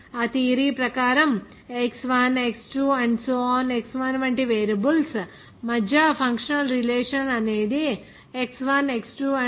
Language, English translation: Telugu, According to that theory the functional relationship among variables like: X1X2 ……Xn can be expressed as that the function of X1 X2…